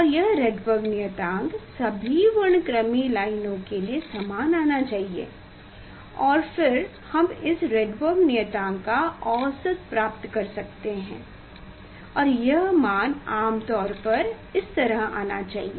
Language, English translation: Hindi, And this Rydberg constant should come same for all spectral lines and then one can take the average of this this Rydberg constant and that value is generally is should come like this